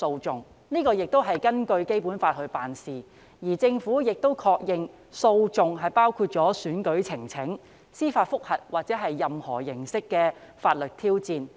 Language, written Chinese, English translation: Cantonese, 這亦是根據《基本法》辦事，而政府亦確認訴訟包括選舉呈請、司法覆核或任何形式的法律挑戰。, Acting in accordance with the Basic Law the Government has also confirmed that legal proceedings include election petitions judicial reviews or any forms of legal challenge